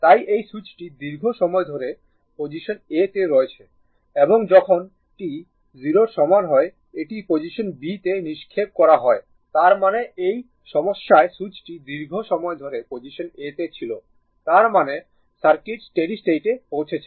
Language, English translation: Bengali, So, this switch has been in the position a for a long time and at t equal to 0, it is thrown to position b; that means, in this problem switch was at position a for long time; that means, circuit has reached steady state right circuit has reached